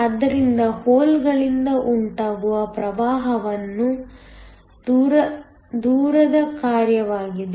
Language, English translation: Kannada, So, the current due to the holes is a function of distance